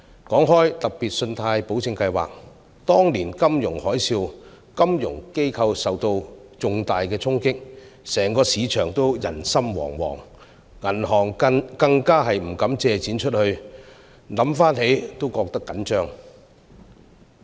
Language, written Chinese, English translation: Cantonese, 提到計劃，當年的金融海嘯令金融機構受到重大衝擊，整個市場也人心惶惶，銀行更不敢借出貸款，回想起來也覺得緊張。, Referring to SpGS I remember during the financial tsunami back then financial institutions were severely hit market confidence melted down and banks dared not grant loans . I still feel nervous when recalling these situations